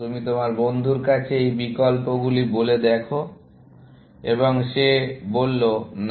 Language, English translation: Bengali, So, you present this option to your friend, and he or she says, no